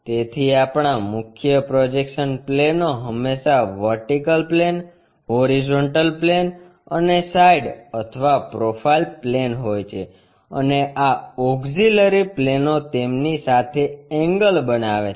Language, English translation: Gujarati, So, our principle projection planes are always be vertical plane, horizontal plane and side or profile plane and these auxiliary planes may make an inclination angle with them